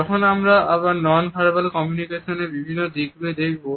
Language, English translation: Bengali, Because, any aspect of non verbal communication cannot be taken in isolation